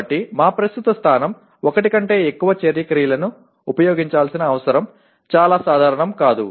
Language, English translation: Telugu, So our current position is the need for using more than one action verb is not that very common